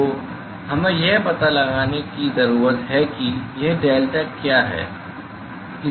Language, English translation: Hindi, So, we need to find out what is this delta